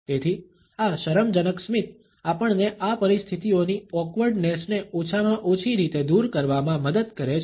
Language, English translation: Gujarati, So, this embarrass the smile helps us to overcome the awkwardness of these situations in a little manner at least